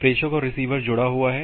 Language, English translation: Hindi, The sender and receiver is connected